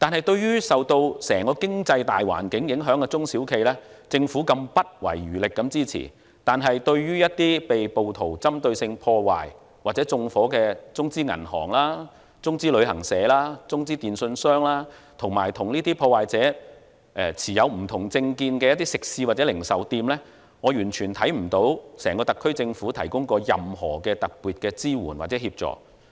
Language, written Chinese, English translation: Cantonese, 對於受到整個經濟大環境影響的中小企，政府不遺餘力支持，但是，對於一些被暴徒針對性破壞或縱火的中資銀行、中資旅行社、中資電訊商，以及與破壞者持不同政見的食肆或零售店，我完全看不到整個特區政府提供過任何特別的支援或協助。, For those SMEs affected by the overall economic environment the Government spares no effort to provide support . In contrast for some Chinese - funded banks travel agents and telecommunications operators that were subjected to targeted vandalism or arson by rioters as well as some restaurants or retail outlets so targeted because of holding different political views from the perpetrators I do not see any special support or assistance whatsoever from the SAR Government as a whole